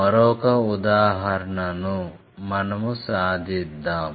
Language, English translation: Telugu, Let us take one more example